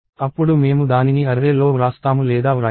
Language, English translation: Telugu, Then I will either write it into the array or not